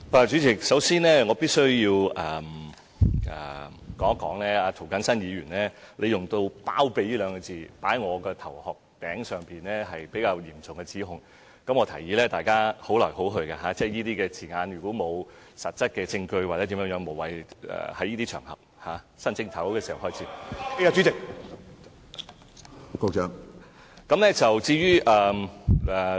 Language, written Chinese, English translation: Cantonese, 主席，首先我必需指出，涂謹申議員套用到"包庇"二字在我身上，是比較嚴重的指控，我提議大家互相尊重，如果沒有實質證據，在新一年，議員沒必要在這些場合使用這些字眼。, President first of all I must point out that the word harbour applied by Mr James TO on me is a rather serious accusation . I suggest we should respect each other . In the new year Members do not have to use such words in this occasion without any substantiated proof